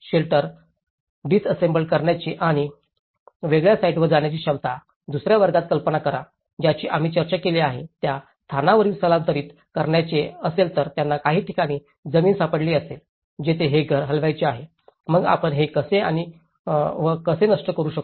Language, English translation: Marathi, Ability to disassemble the shelter and move to a different site, imagine in the other category which we discussed if they want to relocate, they found a land in some places, want to move this house there, so how we can actually dismantle this and how we can re fix the same thing